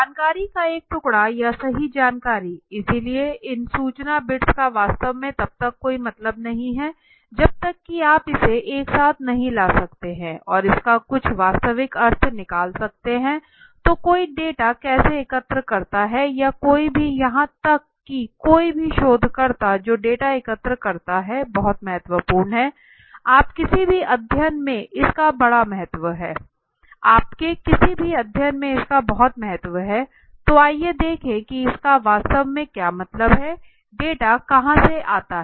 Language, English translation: Hindi, A piece or bit of information right bit of information so a these information’s bits actually do not make a sense until and unless you can really bring it together and makes some real sense out of it right so how does one form collect data and or any even any researcher collecting data that is of very importance is the large importance you know in any study, so let us see what exactly it means so where does data comes from